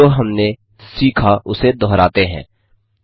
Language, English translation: Hindi, Lets revise what we have learnt, 1